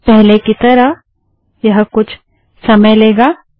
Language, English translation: Hindi, As before, this may take a while